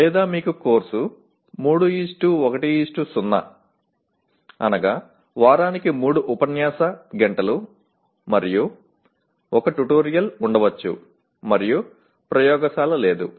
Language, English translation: Telugu, Or you may have a course 3:1:0, 3 lecture hours per week, and 1 tutorial, and no laboratory